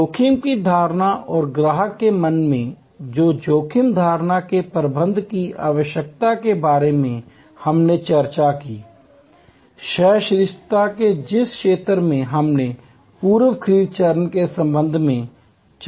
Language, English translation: Hindi, The risk perception and management of the need of managing the risk perception in customers mind that we discussed, the zone of the tolerance that we discussed with respect to the pre purchase stage